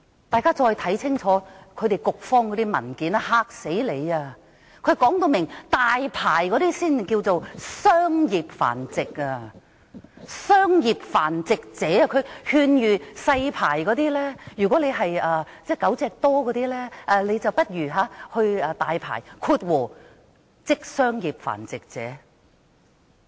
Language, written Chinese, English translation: Cantonese, 大家再看清楚局方那些文件，簡直把你嚇死，當中列明領取"大牌"的才稱作商業繁殖者，局方更勸諭領有"細牌"的繁殖者，如果飼養狗隻多，不如去申領"大牌"，成為商業繁殖者。, If you read the papers submitted by the Bureau carefully you will be scared to death . It is stipulated in the paper that only holders of big licences are considered to be engaging in commercial dog breeding . The Bureau even advises breeders of small licences that if they keep too many dogs they should apply for big licences and become commercial breeders